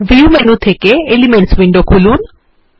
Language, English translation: Bengali, Let us bring up the Elements window from the View menu